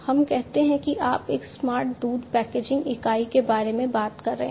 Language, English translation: Hindi, Now this milk packaging unit let us say that you are talking about a smart milk packaging unit